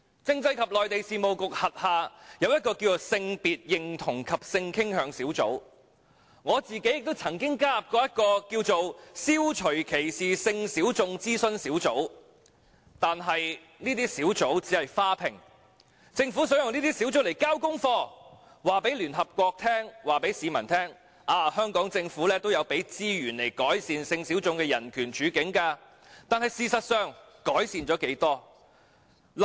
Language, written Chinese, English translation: Cantonese, 政制及內地事務局轄下有性別認同及性傾向小組，我自己亦曾加入消除歧視性小眾諮詢小組，但這些小組只是"花瓶"，政府想以這些小組來"交功課"，告訴聯合國和市民，香港政府也有撥出資源改善性小眾的人權處境，但事實上，改善了多少？, And I have also joined the Advisory Group on Eliminating Discrimination against Sexual Minorities . But these groups are just decorative . The Government wants to use these groups as homework done and tell the United Nations and people that the Hong Kong Government has also allocated funding to improving the human rights situation of sexual minorities